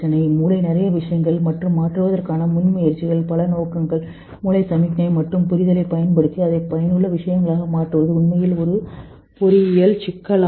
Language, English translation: Tamil, Lot of things in the brain and lot of intentions of the initiative of changing, using the brain signal and understanding to convert it to utilitarian stuff is actually an engineering problem